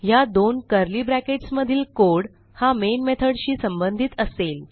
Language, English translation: Marathi, The code between these two curly brackets will belong to the main method